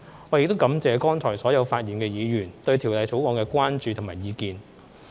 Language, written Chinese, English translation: Cantonese, 我亦感謝剛才所有發言的議員對《條例草案》的關注和意見。, I also wish to thank the Members for their concerns and views about the Bill just now